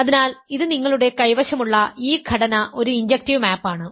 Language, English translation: Malayalam, So, this is composition that you have is an is an injective map